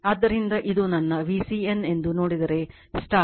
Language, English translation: Kannada, So, if you look into that that this is my V c n right this is my V c n and this is my I c